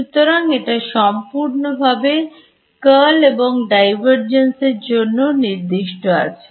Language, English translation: Bengali, So, its completely specified by its curl and divergence ok